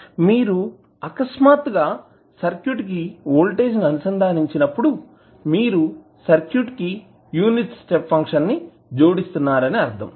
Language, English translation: Telugu, So, when you suddenly apply the voltage source to the circuit it means that you are adding unit step to the circuit